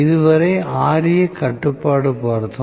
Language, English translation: Tamil, So much so far, Ra control